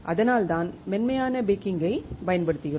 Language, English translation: Tamil, That is why we use soft baking